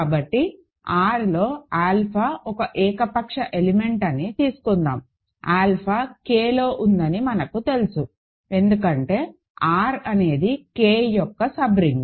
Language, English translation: Telugu, So, let us take let alpha be an arbitrary element in R, we know that alpha is in K right, because R is a subring of K